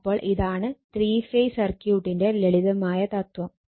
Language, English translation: Malayalam, So, this is the simple philosophy for three phase circuit